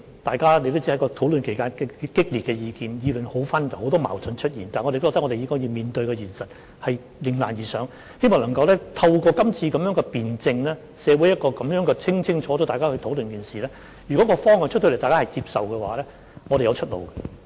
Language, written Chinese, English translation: Cantonese, 大家也知道，在討論期間提出的意見很激烈，意見紛紜，出現很多矛盾，但我認為我們應面對現實，迎難而上，希望能夠透過今次的辯證，在社會上清楚地討論這一件事，如果在公布方向後，大家也接受，我們便會有出路。, As we all know the views expressed during the discussion period were quite strong and diverse so there were many conflicting views but I think we should face the reality and rise to the challenges . It is hoped that through the debate this time around this matter can be discussed thoroughly in society . If all parties accept the direction after it has been announced we will have a way out